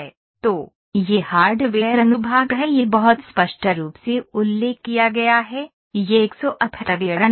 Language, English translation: Hindi, So, this is hardware section it is mentioned very clearly, this is a software section